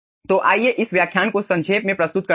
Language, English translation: Hindi, so let us summarize this lecture